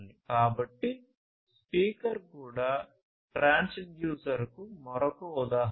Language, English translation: Telugu, So, a speaker is also another example of the transducer